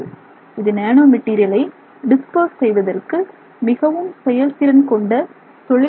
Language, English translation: Tamil, And so this is a very effective technique in dispersing some nanomaterials